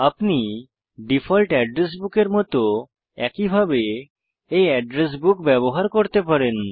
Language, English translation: Bengali, You can use this address book in the same manner you use the default address books